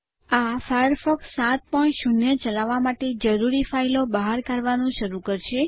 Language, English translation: Gujarati, This will start extracting the files required to run Firefox 7.0